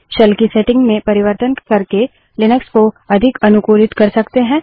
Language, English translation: Hindi, Linux can be highly customized by changing the settings of the shell